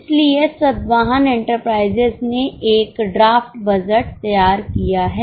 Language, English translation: Hindi, So, Satyahan Enterprises has prepared a draft budget